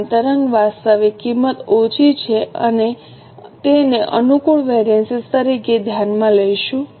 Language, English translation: Gujarati, Same way if actual cost is lesser, we will consider it as a favorable variance